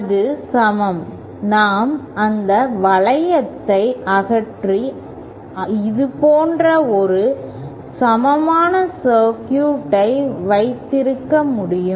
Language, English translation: Tamil, Then that is equivalent, we can remove that loop and have an equivalent circuit like this